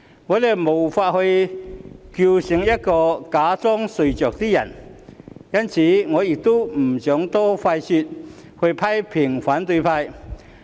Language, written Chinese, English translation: Cantonese, 我們無法叫醒一個假裝睡着的人，所以我不想多花唇舌批評反對派。, We cannot wake up someone who pretends to be asleep so I do not want to waste my breath to criticize the opposition camp